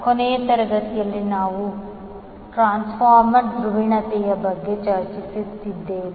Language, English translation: Kannada, So in last class we were discussing about the transformer polarity